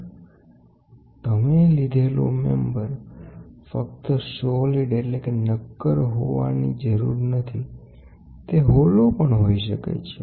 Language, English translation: Gujarati, So, a load cell means, you take a member and this number need not be only solid; it can be also hollow